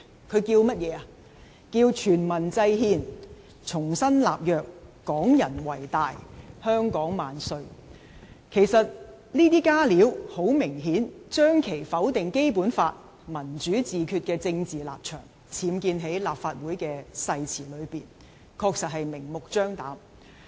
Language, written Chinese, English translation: Cantonese, 他說"全民制憲、重新立約、港人為大、香港萬歲"，這些"加料"顯然將其否定《基本法》、"民主自決"的政治立場，僭建在立法會的誓詞內，確實明目張膽。, He said Devising constitution by all people making new covenant Hong Kong people predominate all hail Hong Kong . Such additions evidently impose his political stance of denying the Basic Law and self - determination on the oath of the Legislative Council which was a blatant act beyond any doubt